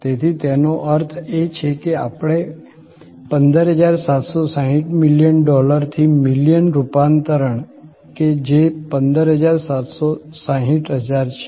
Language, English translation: Gujarati, So, that means we are looking at 15760 million crore to million conversion, so 15760 thousand